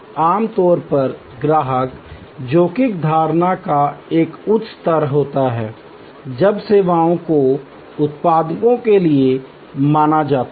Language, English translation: Hindi, Usually customer is a higher level of risk perception when accruing services as suppose to products